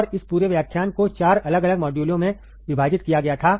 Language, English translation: Hindi, And this whole entire lecture was divided into 4 different modules